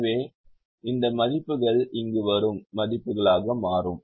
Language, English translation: Tamil, so this values will become the, the values that come here